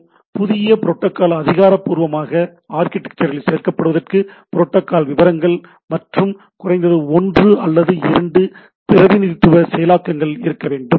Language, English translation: Tamil, So, in order for a new protocol to officially included in the architecture; there needs to be both protocol specification, at least one preferably two representation in the implementations